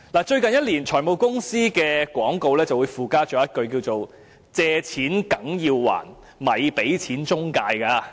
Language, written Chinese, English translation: Cantonese, 最近一年，財務公司的廣告會附加一句："借錢梗要還，咪俾錢中介"。, In the last year advertisements of finance companies would contain a message that reads You have to repay your loans